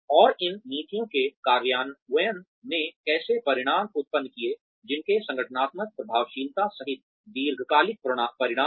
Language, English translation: Hindi, And, how the implementation of these policies produced outcomes, that have long term consequences, including organizational effectiveness